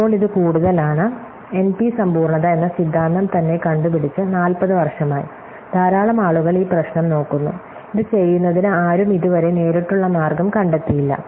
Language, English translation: Malayalam, So, it is now more than years, since the theory of N P completeness itself as invented and a lot of people and looks at problem and nobody have yet found a direct way of doing this